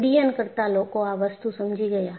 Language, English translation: Gujarati, So, aviation people understood this